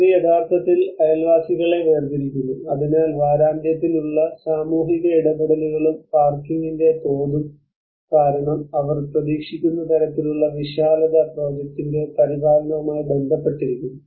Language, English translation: Malayalam, And it actually separates the neighbours, so there is the social interactions for weekend and the scale of parking because the kind of vastness they are projected it also has to implicate with the maintenance of the project